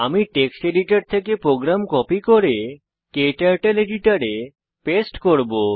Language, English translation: Bengali, Let me copy the program from the text editor and paste it into KTurtle editor